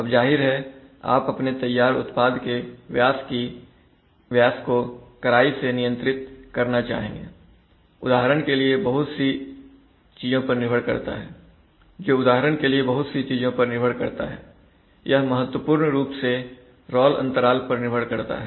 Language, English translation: Hindi, Now obviously, you would like to strictly control the diameter of the, of your finished product which depends on so many things for example, it crucially depends on the role gap